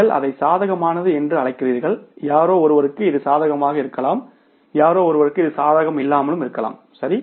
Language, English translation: Tamil, You call it is favorable, for somebody it may be favorable, for somebody it may be unfavorable, right